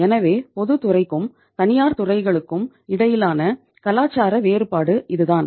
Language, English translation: Tamil, So this is the difference in the culture between the public and the private sectors